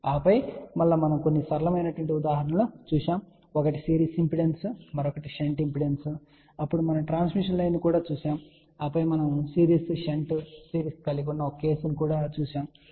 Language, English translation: Telugu, And then we did look at a few simple examples, one was series impedance, then another one was shunt impedance, then we looked at the transmission line, and then we also looked at one case with consisted of series shunt series, ok